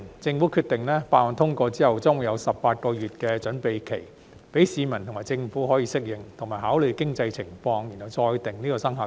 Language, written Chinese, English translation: Cantonese, 政府決定，法案通過後將會有18個月準備期，讓市民及政府可以適應，以及考慮經濟情況後再決定生效日期。, The Government has decided that a preparatory period of 18 months will be put in place after the passage of the Bill for the public and the Government to adapt to the new arrangement . Thereafter it can decide on the commencement date having regard to the economic situation